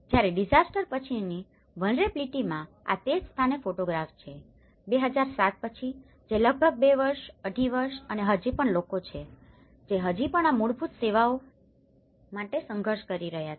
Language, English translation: Gujarati, Whereas, in post disaster vulnerability this is the photograph of the same place after 2007 which is after almost two years, two and half year and still people, still struggling for these basic services